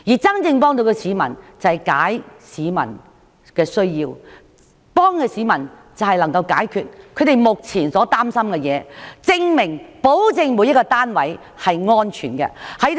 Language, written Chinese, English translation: Cantonese, 真正能幫助市民的，是照顧他們的需要，解決他們目前所擔心的事，並保證每一個單位均是安全的。, To genuinely help members of the public we should cater for their needs resolve their present concerns and ensure that every flat is safe